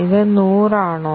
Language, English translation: Malayalam, Is it hundreds